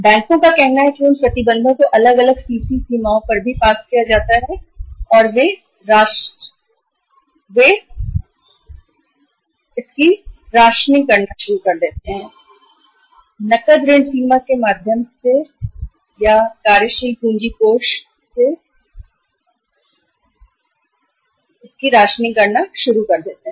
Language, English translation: Hindi, Banks also say pass on those restrictions to the different CC limits also and they start rationing the loans or the working capital uh funds or the the funds provided through the cash credit limits to the different manufacturers